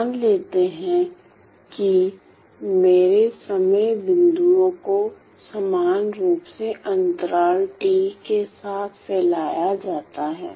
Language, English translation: Hindi, So, let us say my time points are spaced equally with interval capital T